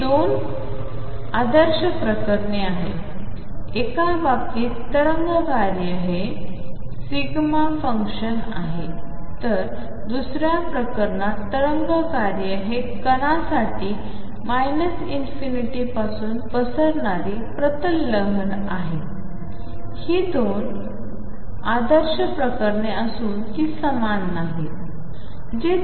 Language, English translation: Marathi, These are 2 ideal cases, in one case the wave function is a delta function in the other case wave function is a plane wave spreading from minus infinity in a for a particle these are 2 ideal cases 2 extreme cases which are not same